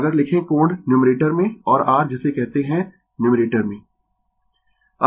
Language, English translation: Hindi, If you write angle in the numerator and your what you call in the numerator right